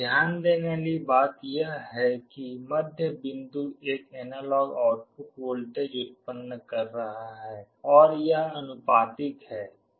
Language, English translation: Hindi, The other point to note is that the middle point is generating an analog output voltage and it is proportional